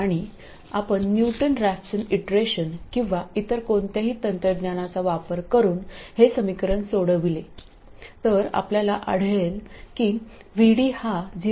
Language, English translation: Marathi, And if you solve this equation using Newton rafs and iteration or any other technique you will find that VD is